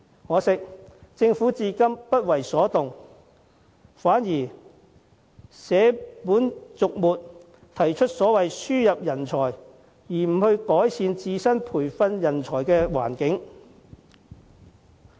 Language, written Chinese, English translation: Cantonese, 可惜政府至今仍然不為所動，反而捨本逐末，提出輸入人才而非改善本地培訓人才的環境。, I am disappointed that the Government has done nothing so far . Rather it only dwells on the side issues and proposes to import talents instead of improving the training for local people